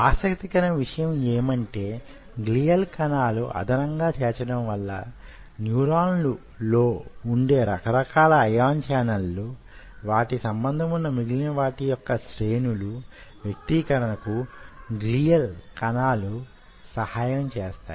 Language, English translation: Telugu, its very interesting to note the addition of glial cell helps in the expression of the different kind of ion channels which are present in the neurons and the series of other things which are involved with it